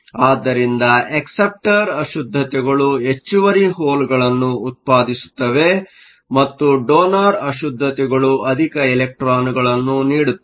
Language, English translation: Kannada, So, acceptor impurities produce excess holes donor impurities produce excess electrons, so, we have acceptor impurities